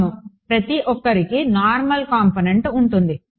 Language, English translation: Telugu, Yeah, everyone else has normal component